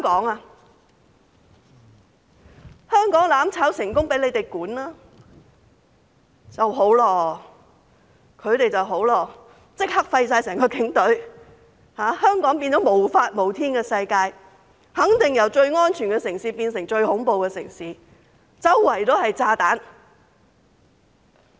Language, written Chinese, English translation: Cantonese, 假如香港"攬炒"成功，由他們來管治，他們便會立即廢除警隊，香港變成無法無天的世界，肯定由最安全的城市變成最恐怖的城市，四處都是炸彈。, If they succeed to take charge and destroy Hong Kong they will immediately abolish the Police and Hong Kong will become a lawless place . It will definitely turn from the safest city to the most terrifying city with bombs everywhere